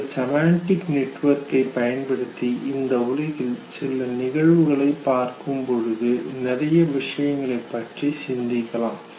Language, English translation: Tamil, So that, when you look at certain phenomenon in the world using your semantic network you can think of whole lot of things